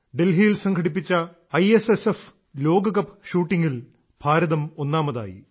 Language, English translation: Malayalam, India bagged the top position during the ISSF World Cup shooting organised at Delhi